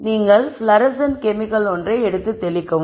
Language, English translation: Tamil, So, you pick up the fluorescent chemical one and then spray it